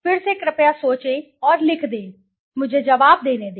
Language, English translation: Hindi, Again you please think and write down, okay, let me go to the answer